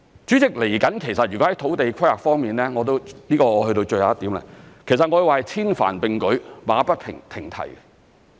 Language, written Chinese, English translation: Cantonese, 主席，在土地規劃方面，這是最後一點，我會說是千帆並舉，馬不停蹄。, President last but not least I would say that we are going full steam ahead with numerous projects in respect of land planning